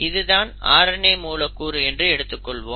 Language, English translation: Tamil, Now tRNA is a very interesting RNA molecule